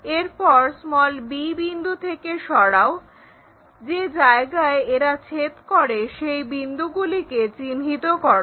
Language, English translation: Bengali, Then move from b, move from b, where they are intersecting locate those points, this one, this one